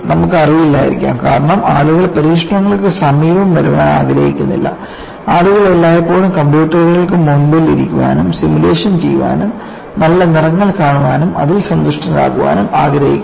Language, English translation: Malayalam, You may not be aware because people do not want to come near anywhere near experiments; people always want to sit before the computers, do simulation, see nice colors, and be happy with it